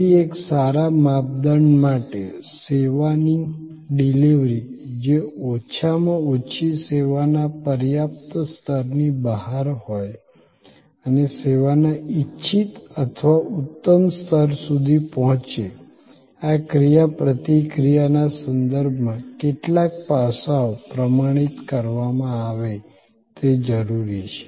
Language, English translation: Gujarati, So, to create a good standard, delivery of service which is at least in the, beyond the adequate level of service and approaching the desired or excellent level of service, it is necessary that some aspects are standardized regarding this interaction